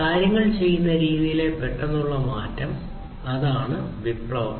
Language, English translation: Malayalam, An abrupt change in the way things are being done, so that is the revolution